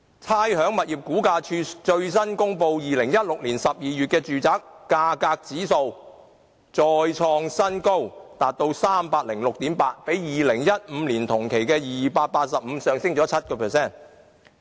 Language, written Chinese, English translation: Cantonese, 差餉物業估價署最新公布2016年12月的住宅價格指數再創新高，達到 306.8， 較2015年同期的285上升了 7%。, According to the latest publication of the Rating and Valuation Department the housing price index for December 2016 was 306.8 indicating an increase by 7 % as compared to 285 in the same period of 2015